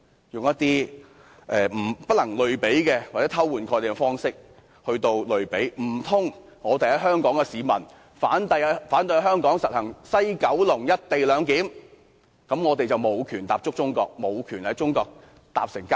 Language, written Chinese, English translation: Cantonese, 他們又以不能類比，或以偷換概念的方式來作比較，難道香港市民反對在西九龍站實施"一地兩檢"，便無權踏足中國，無權乘坐高鐵？, They can only make a comparison with false analogy or switch concepts . Can they say that Hong Kong people who oppose the co - location arrangement at the West Kowloon Station have no right to go to China or travel by XRL?